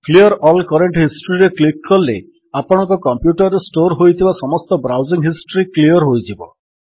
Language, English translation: Odia, If we click on Clear all current history then all the browsing history stored on the your computer will be cleared